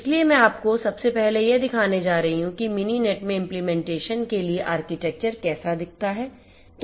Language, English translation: Hindi, So, I am going to show you first of all how this architecture that is going to look like for implementation in Mininet